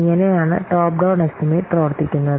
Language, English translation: Malayalam, So this is how the top down estimation this works